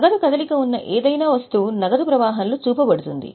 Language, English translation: Telugu, Any item where cash movement is involved will be shown in the cash flow